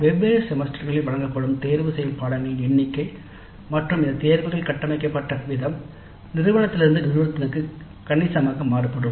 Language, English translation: Tamil, The number of elective courses offered in different semesters and the way these electives are structured vary considerably from institute to institute